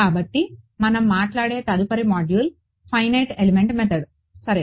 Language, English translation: Telugu, So the next module that we will talk about is the Finite Element Method ok